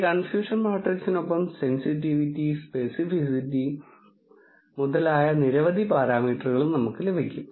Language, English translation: Malayalam, Along with this confusion matrix, we will also get a lot of parameters such as sensitivity, speci city, etcetera